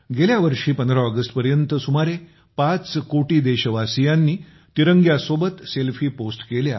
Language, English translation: Marathi, Last year till August 15, about 5 crore countrymen had posted Selfiewith the tricolor